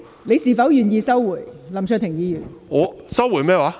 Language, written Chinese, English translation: Cantonese, 你是否願意收回，林卓廷議員？, Are you willing to withdraw it Mr LAM Cheuk - ting?